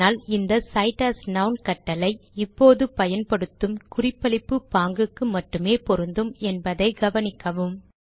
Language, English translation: Tamil, It is important to note that cite as noun is a command that is specific to the referencing style that we used now